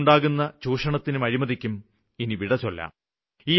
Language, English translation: Malayalam, This will end exploitation and corruption